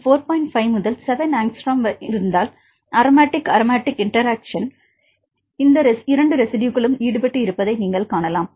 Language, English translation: Tamil, 5 to 7 angstrom, then you can say these residues are involved in the aromatic aromatic interactions